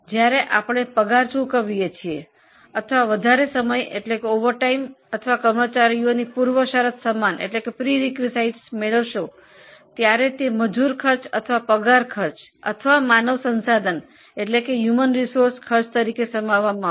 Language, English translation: Gujarati, When we pay salaries or over time or incur on perquisites of the employees, it will be included as a labour cost or as a salary cost or human resource cost